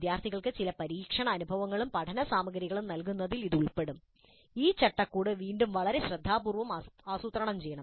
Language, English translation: Malayalam, This will include providing certain trial experiences and learning materials to the students and this scaffolding must be planned again very carefully